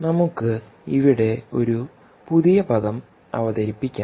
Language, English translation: Malayalam, and now we will introduce a new term here